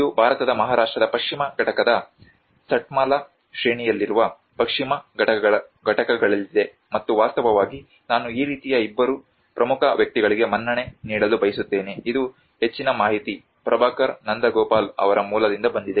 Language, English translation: Kannada, This is in the Western Ghats in the Satmala range of the Western Ghats in Maharashtra state of India and in fact I want to give a credit of two important people like this is most of the information this has been from the source of Prabhakar Nandagopal